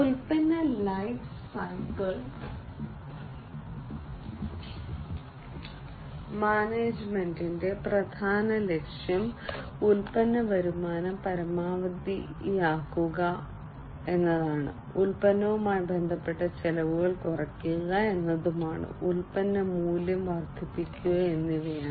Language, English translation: Malayalam, So, the main goal of product lifecycle management is to maximize the product revenues, to decrease the product associated costs, and to increase the products value